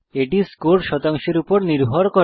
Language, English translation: Bengali, This is done based on the score percentage